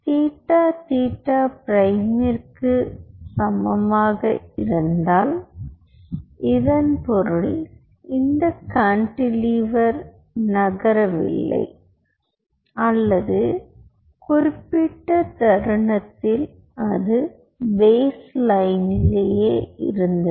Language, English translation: Tamil, so if theta is equal to theta prime, it means this cantilever is not moving or at that particular instant it was at the baseline